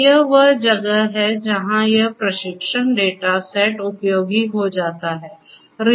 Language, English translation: Hindi, So, that is where this training data set becomes useful